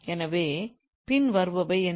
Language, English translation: Tamil, So, what are the following